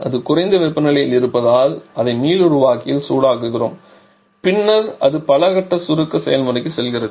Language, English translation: Tamil, And it is being at a lower temperature so we heat it up in the regenerator and then it goes to multistage compression process